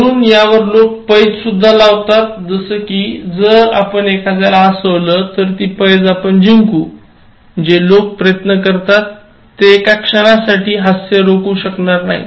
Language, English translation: Marathi, So, there are even games in which people say that, if you make this person laugh, so you will win this and even people who try hard they will not be able to stop laughter beyond a point